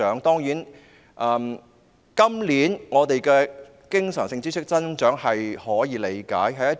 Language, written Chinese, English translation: Cantonese, 當然，今年的經常性支出有所增長，是可以理解的。, Of course the growth in this years recurrent expenditure is understandable